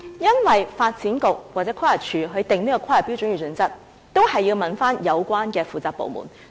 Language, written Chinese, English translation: Cantonese, 因為發展局或規劃署在制訂規劃標準與準則時，也必須諮詢有關的負責部門。, This is because when the Development Bureau or the Planning Department formulates planning standards and guidelines it has to consult the relevant government departments